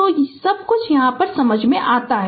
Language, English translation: Hindi, So, everything is understandable to you